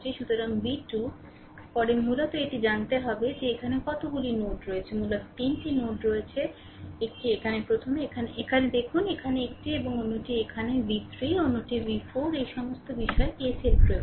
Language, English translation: Bengali, So, v 2 later we find out basically we have to see the how many nodes are there basically we have 3 node; one is here first we look into this one is here and another is here v 3, another is the v 4 all these things we apply KCL right